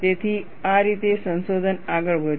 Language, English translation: Gujarati, So, this is how research proceeded